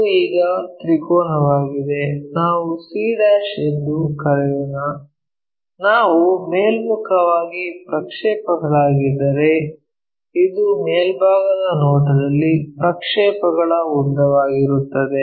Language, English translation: Kannada, So, our triangle now let us call c', if we are projecting all the way up in the this will be the length of our projection in the top view